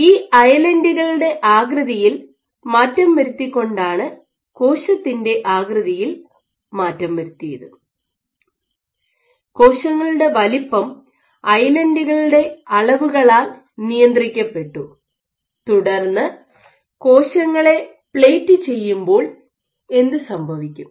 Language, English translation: Malayalam, So, cell shape was changed modified by changing the shape of the islands that they used and cell size was controlled by the dimensions of the islands and then they asked that what happens when we plate